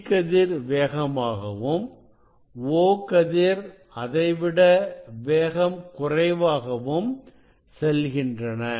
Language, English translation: Tamil, E ray will move faster than the O ray